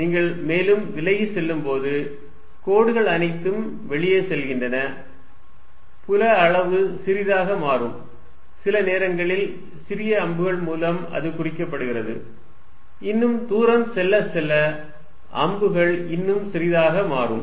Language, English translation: Tamil, The lines are all going out as you go further away; a field magnitude becomes a smaller sometimes indicate it by making smaller arrows, we go further away arrows becoming even smaller